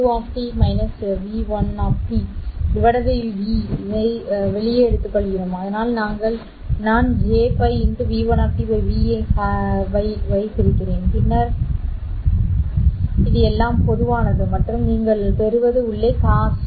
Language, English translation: Tamil, Then we also take this v2 minus v1 pi outside so that I have e par j pi v1 of t by v pi then there is also e par j pi by 2 v pi v pi v2 of t minus v1 of t this is all common and inside what you get is or you know what you will get is cause pi v2 of t minus V1 of t divided by v pi